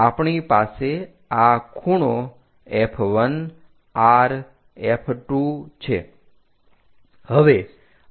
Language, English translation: Gujarati, We have this angle F 1 R F 2